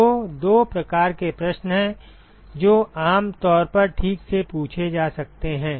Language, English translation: Hindi, So, there are two kinds of questions one could typically ask ok